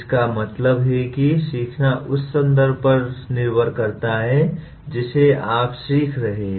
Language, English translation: Hindi, That means learning depends on the context in which you are learning